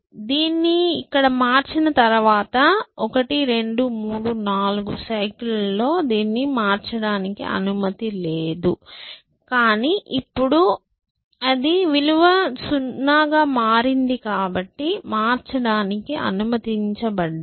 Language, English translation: Telugu, So, after having change this here, then for 1, 2, 3, 4 cycles I am not allowed to change it, but now it, the value is become 0 I am allowed to change it essentially